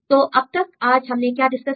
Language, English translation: Hindi, So, so far what did we discuss today